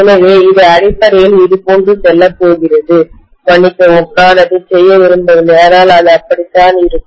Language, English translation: Tamil, So it is essentially going to go somewhat like this, sorry, I did not mean to do that but this is the way it will be